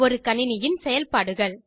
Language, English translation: Tamil, Functions of a computer